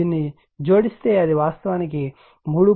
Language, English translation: Telugu, If you add this it will be actually 3